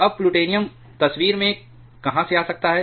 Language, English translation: Hindi, Now from where the plutonium may come into picture